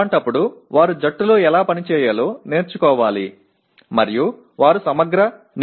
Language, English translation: Telugu, In that case they have to learn how to work in a team and they have to write a comprehensive report